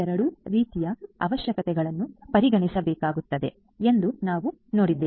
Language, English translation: Kannada, We have seen that both sorts of requirements will have to be considered